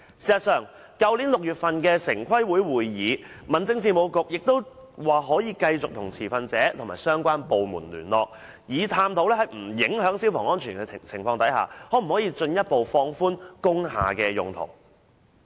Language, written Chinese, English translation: Cantonese, 事實上，在去年6月的城市規劃委員會會議上，民政事務局亦表示會繼續與持份者和相關部門聯絡，以探討在不影響消防安全的情況下，可否進一步放寬工廈的用途。, Actually in a meeting of the Town Planning Board last June the Home Affairs Bureau also said that it would continue to liaise with the stakeholders and related departments to explore further relaxing the uses of industrial buildings on the premise of not affecting fire safety